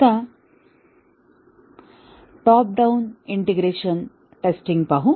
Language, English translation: Marathi, Now, let us look at the top down integration testing